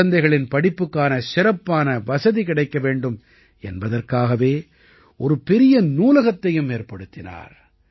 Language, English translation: Tamil, He has also built a big library, through which children are getting better facilities for education